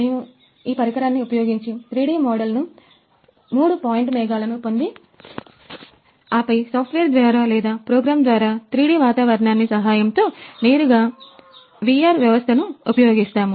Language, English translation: Telugu, So, we can just use this equipment in order to get the 3D model get the three point clouds and then through the software or through program get the 3D environment and straight way using the that VR system